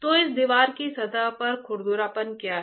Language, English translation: Hindi, So, what is surface roughness of this wall